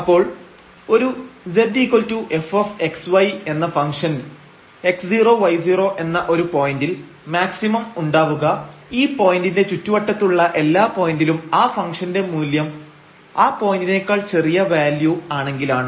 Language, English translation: Malayalam, So, a functions z is equal to f x y has a maximum at the point x 0 y 0 if at every point in a neighborhood of this point the function assumes a smaller values then the point itself